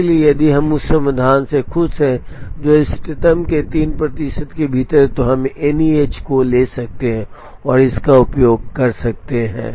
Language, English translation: Hindi, So, if we are happy with the solution which is within 3 percent of the optimal, we can take the NEH and use it